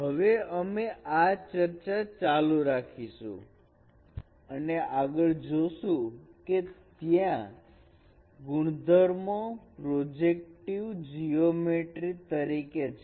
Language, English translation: Gujarati, So now we will continue this discussion and we will further see what other properties are there in the projective geometry